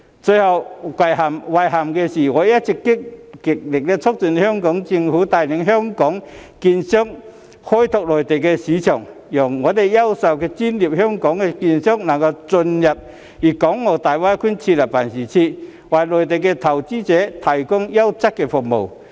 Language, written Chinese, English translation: Cantonese, 最令我遺憾的是，我一直極力促進香港政府帶領香港券商開拓內地市場，讓優秀專業的香港券商能進入大灣區設立辦事處，為內地投資者提供優質服務。, But my greatest regret is this . All along I have been urging the Hong Kong Government with my utmost to enable Hong Kong securities dealers to develop the Mainland market under its leadership so that outstanding and professional Hong Kong securities dealers may gain entry to GBA and set up offices for providing quality services to Mainland investors